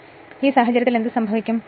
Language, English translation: Malayalam, And in that case what will happen